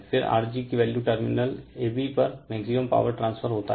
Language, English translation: Hindi, Then what value of R g results in maximum power transfer across the terminal ab